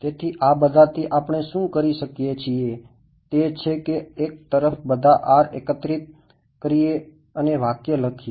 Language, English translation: Gujarati, So, from this all what we can do is gather all the R's on one side and write the expression